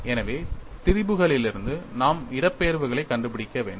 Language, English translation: Tamil, So, from strains we will have to find out the displacement